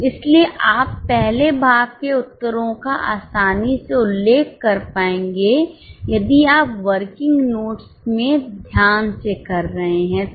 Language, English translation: Hindi, So, you will be able to easily mention the answers for the first part if you do this to working notes carefully